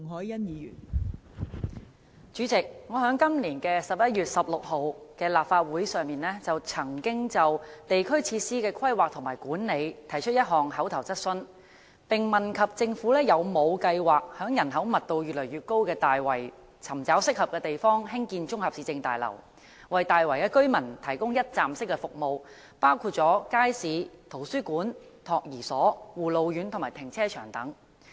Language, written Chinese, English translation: Cantonese, 代理主席，我曾在今年11月16日的立法會會議上，就地區設施的規劃和管理提出一項口頭質詢，問及政府有否計劃在人口密度越來越高的大圍，尋找合適的地方興建綜合市政大樓，為大圍居民提供一站式服務，包括街市、圖書館、託兒所、護老院及停車場等。, Deputy President I raised an oral question on the planning and management of district facilities at the Legislative Council meeting on 16 November this year asking whether the Government has plans to identify a suitable site in the increasingly high - density Tai Wai for building a municipal complex and provide one - stop services for the residents including markets libraries nurseries care and attention homes for the elderly and car parks etc